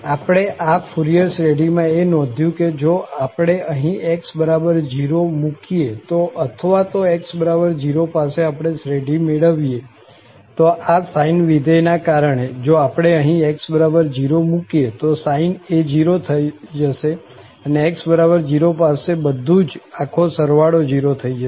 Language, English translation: Gujarati, What we notice now for this Fourier series, that if we substitute there x equal to 0 or we evaluate the series at x equal to 0 because of this sine function, if we put here x equal to 0, what will happen, the sine will become 0 and everything here, the whole sum will become 0 at x equal to 0